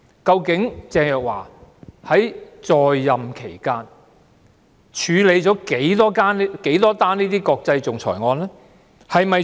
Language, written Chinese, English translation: Cantonese, 究竟鄭若驊在任期間曾經處理多少宗國際仲裁案件？, So how many international arbitration cases have been handled by Teresa CHENG during her tenure as the Secretary for Justice?